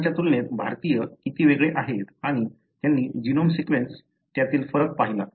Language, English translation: Marathi, How different Indians are as compared to the other and they looked at the genome sequence, variation therein